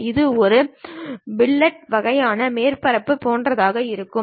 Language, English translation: Tamil, This might be something like a fillet kind of surfaces